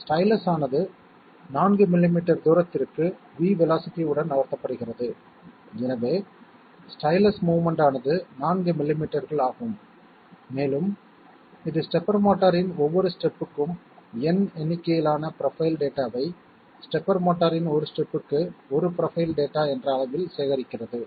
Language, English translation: Tamil, The stylus is moved with velocity V by a distance of 4 millimeters, so the movement that the stylus is executing is 4 millimetres and it collects N number of profile data, 1 profile data for each step of the step motor